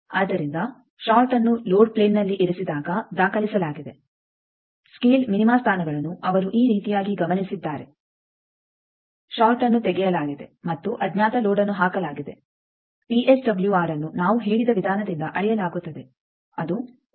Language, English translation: Kannada, So, recorded when the short is placed at load plane the scale minima positions he has noted like this short removed and unknown load put VSWR we measured by the method we said let us say it is one point five voltage minima